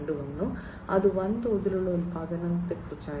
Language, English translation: Malayalam, 0, which was about mass production